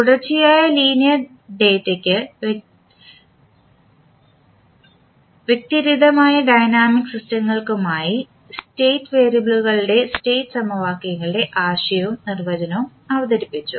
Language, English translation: Malayalam, We have presented the concept and the definition of state variables and state equations for linear continuous data and discrete dynamic systems